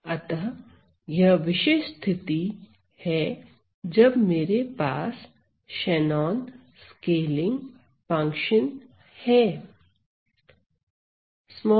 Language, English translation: Hindi, So, that is the particular case then I have the Shannon scaling function, Shannon scaling function